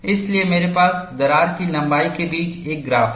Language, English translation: Hindi, And what you have here is a graph between crack length and stress